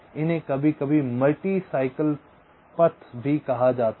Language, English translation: Hindi, ok, these are sometimes called multi cycle paths